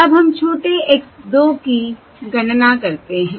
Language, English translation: Hindi, okay, Now let us compute small x 2